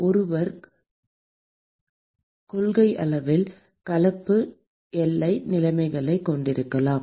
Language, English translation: Tamil, One could in principle have mixed boundary conditions